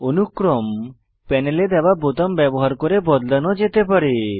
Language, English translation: Bengali, Hierarchy can be modified using the buttons given in the panel